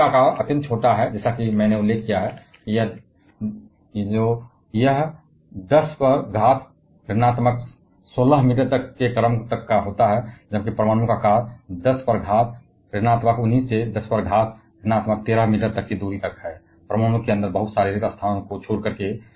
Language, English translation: Hindi, Now, the size of the nucleons is extremely small as I have mentioned it is of the order of 10 to the power of minus 16 meter, whereas, the size of the atom ranges from 10 to the power of minus 19 to 10 to the power of 13 meter, leaving plenty of void space inside the atom